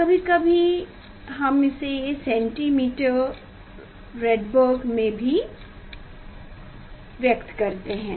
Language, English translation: Hindi, sometimes we express in centimeter Rydberg also